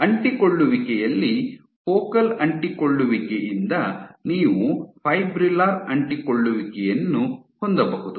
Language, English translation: Kannada, So, from Focal Adhesions in adhesion you can have Fibrillar Adhesions